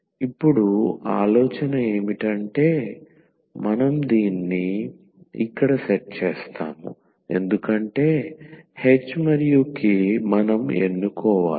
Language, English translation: Telugu, And now the idea is that we will set this here we will set because h and k we need to choose